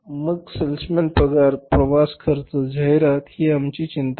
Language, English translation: Marathi, Then, salesman salaries, traveling expenses, advertising, this is none of our concern